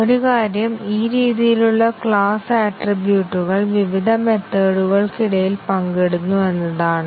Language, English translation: Malayalam, One thing is that we have this class attributes which are shared between various methods